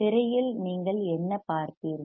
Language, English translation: Tamil, If you seeOn the screen what you will you see